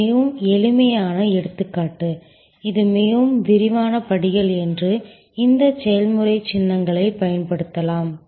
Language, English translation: Tamil, This is a very simple example, if it is a much more detail steps we can use this process symbols